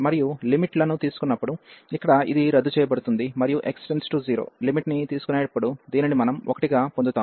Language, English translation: Telugu, And when taking the limits, so here this is cancel out and when taking the limit x approaching to 0, so we will get this as 1